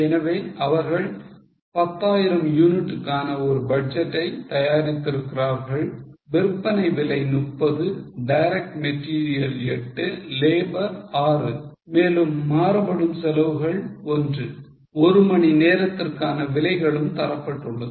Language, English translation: Tamil, So, they have made a budget of 10,000 units, sale price is 30, direct material 8, labour 6 and variable over rates 1 per hour rates are also given